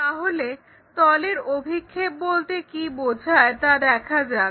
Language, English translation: Bengali, Let us look at what are these projections of planes